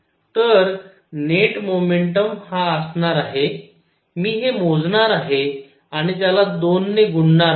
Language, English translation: Marathi, So, net momentum is going to be I will calculate this and multiply it by 2